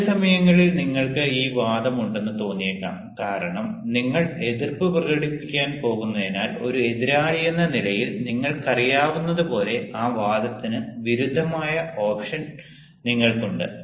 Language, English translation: Malayalam, at times you may feel that this argument, because you know you have the option of contradicting that argument, as you know, at an opponent, since you are going to speak against